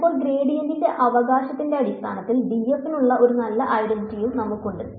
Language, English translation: Malayalam, But now we also have a nice identity for d f which is in terms of the gradient right